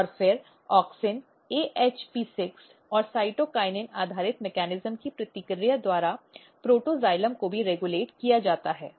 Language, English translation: Hindi, And then protoxylem is also regulated by the feedback of auxin, AHP6 and cytokinin based mechanism